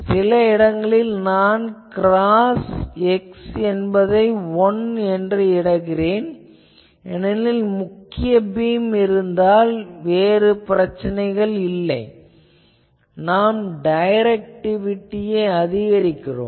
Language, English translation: Tamil, So, certain portion I will cross x is equal to 1 because, if the main mean beam is there then there is no problem I am actually putting more directivity